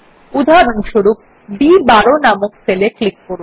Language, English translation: Bengali, For example lets click on cell number B12